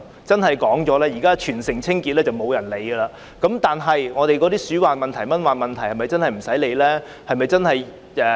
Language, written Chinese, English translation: Cantonese, 現在沒有甚麼人會關注全城清潔問題，但鼠患和蚊患問題是否真的無須理會呢？, Now there is hardly anyone who bothers to pay attention to the work of Team Clean . But can we really turn a blind eye to mosquito and rodent infestation?